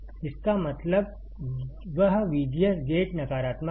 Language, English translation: Hindi, That means; that V G S; , the gate is negative